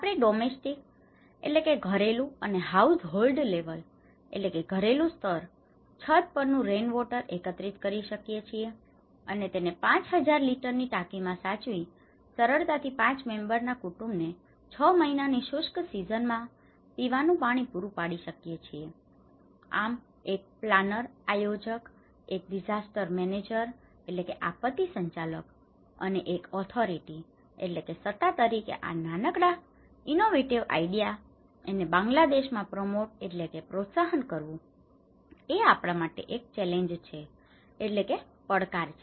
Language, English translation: Gujarati, We can collect the rainwater at the domestic level at the household level and that from the rooftop and that and preserve it in a tank and that tank of 5000 litre can easily provide a family of 5 members drinking water for 6 months dry season okay, so small innovative idea but that we need to promote in Bangladesh that is our challenge as a planner as a disaster manager as the authority